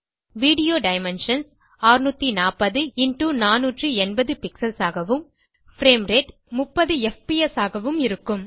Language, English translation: Tamil, The view dimensions will be 640*480 pixels and the frame rate will be 30fps